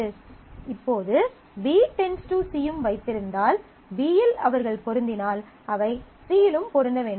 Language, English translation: Tamil, Now, if B functionally determines C also holds, then if they match on B, they match on C